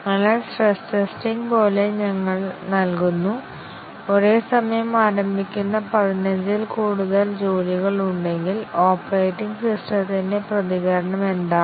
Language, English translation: Malayalam, So, as to in the stress testing, we give; if there are more than fifteen jobs that are initiated simultaneously, what is the response of the operating system